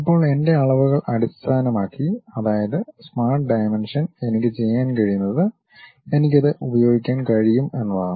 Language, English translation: Malayalam, Now, based on my dimensions Smart Dimension, what I can do is I can use that maybe specify that